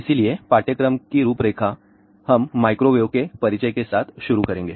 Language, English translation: Hindi, So, the course outline is we will start with the introduction to a microwaves